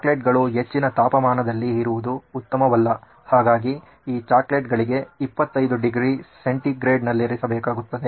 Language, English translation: Kannada, The chocolates are not very good at high temperatures, so I would guess about 25 degree centigrade ought to do right for these chocolates